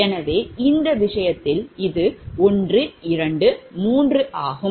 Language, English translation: Tamil, so in this case, this, this is one, two, three, right